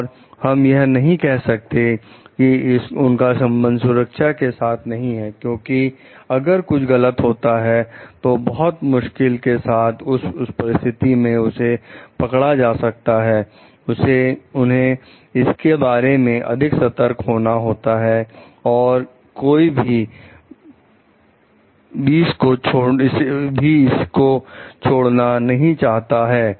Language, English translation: Hindi, And we cannot tell like they are not concerned about the safety, because if something goes wrong it is very hard to detect it in that cases they should be more careful about it off to not to do any error part